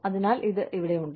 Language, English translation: Malayalam, So, it is here